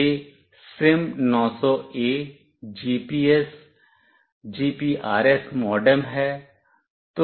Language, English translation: Hindi, This is SIM900A GPS, GPRS MODEM